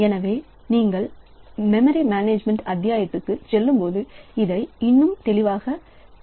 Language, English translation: Tamil, So, that way when you go to the memory management chapter so this will be more clear